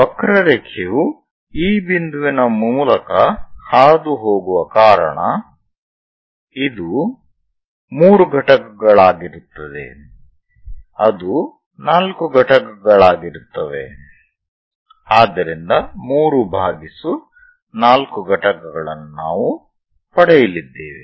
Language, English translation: Kannada, Because curve is passing through this point this will be three units that will be 4 units, so 3 by 4 units we are going to get